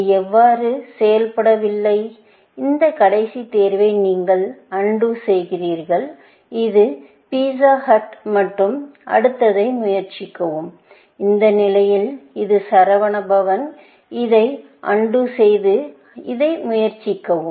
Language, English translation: Tamil, It did not work so, you undo this last choice, which is pizza hut and try the next one, at this level, which is Saravanaa Bhavan; undo this and try this